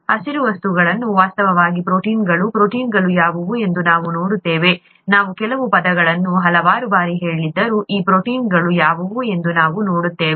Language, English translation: Kannada, The green things are actually proteins, we will see what proteins are, although we have heard some terms so many times, we will see what those proteins are